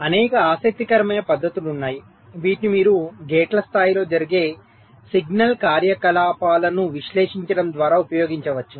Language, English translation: Telugu, ok, there are many interesting techniques which you can use by analyzing the signal activities that take place at the level of gates